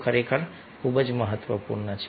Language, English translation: Gujarati, so this is very, very important